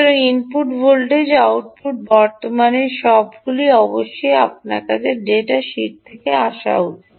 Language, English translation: Bengali, so input voltage, output current, all of that should be essentially coming up to you from the data sheet